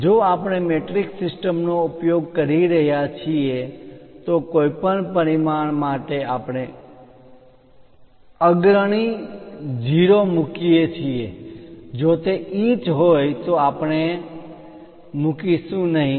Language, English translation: Gujarati, If we are using metric system ,for anything the dimension we put leading 0, if it is inches we do not put